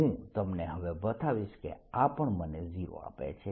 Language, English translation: Gujarati, i'll show you now that this also gives you zero